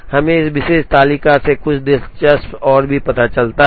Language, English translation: Hindi, We also realize something interesting from this particular table